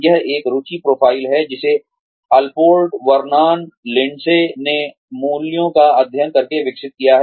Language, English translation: Hindi, It is an interest profile, developed by, Allport Vernon Lindsey study of values